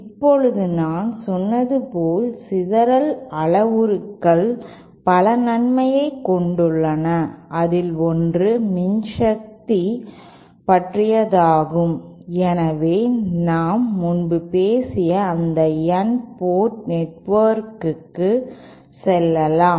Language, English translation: Tamil, Now scattering parameters as I said have several advantages, 1 is that they have the concept of power so let us go back to that N port network which we had talked about earlier